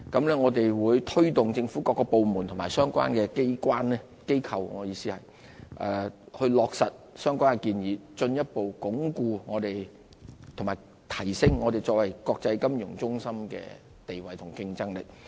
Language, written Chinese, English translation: Cantonese, 我們會推動政府各部門及相關機構落實相關建議，進一步鞏固和提升香港作為國際金融中心的地位和競爭力。, We will drive the implementation of these proposals by government departments and relevant organizations to further reinforce and enhance Hong Kongs status and competitiveness as an international financial centre